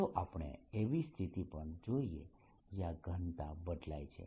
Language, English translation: Gujarati, let us also look at a situation where the density varies